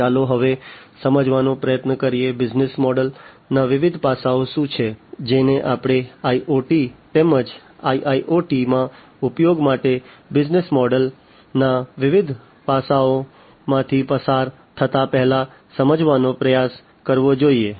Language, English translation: Gujarati, So, let us now try to understand; what are the different aspects of the business model, that we should try to understand, before even we go through the different you know the different aspects of the business model for use in IoT as well as IIoT